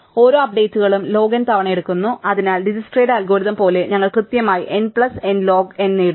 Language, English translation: Malayalam, Each updates takes log n times, so we get m plus n log n exactly as we did for Dijkstra's algorithm